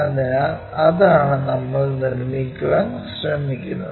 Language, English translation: Malayalam, So, that is the thing what we are trying to construct it